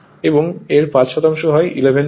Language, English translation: Bengali, And fi[ve] if a 5 percent is 11 volt